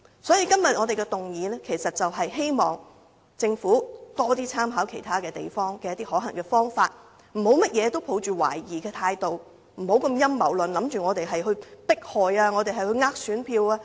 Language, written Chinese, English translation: Cantonese, 所以，今天這項議案就是希望政府多參考其他地方的可行方法，不要凡事抱着懷疑態度，不要陰謀論地認為我們只是想迫害他人、想騙選民。, Hence the aim of this motion today is precisely to ask the Government to consider the feasible measures adopted in other places . Please do not be so sceptical all the time and please do not always look at us with a conspiracy theory saying that we want to persecute others and deceive electors to get their support